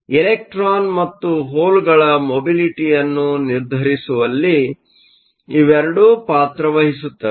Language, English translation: Kannada, So, both of them play a role in determining the mobility of the electrons and holes